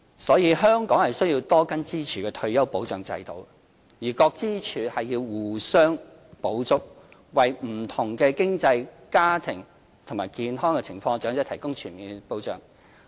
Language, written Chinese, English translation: Cantonese, 因此，香港需要多根支柱的退休保障制度，各支柱互相補足，為不同經濟、家庭和健康情況的長者提供全面保障。, Therefore Hong Kong needs to establish a multi - pillar retirement protection system under which the pillars complement each other offering full protection to elderly people with different economic family and health backgrounds